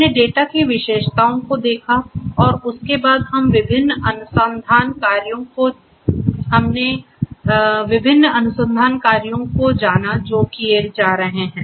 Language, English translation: Hindi, We looked at the data characteristics and thereafter we went through the different research works that are being undertaken